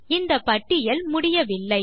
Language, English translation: Tamil, This list isnt exhaustive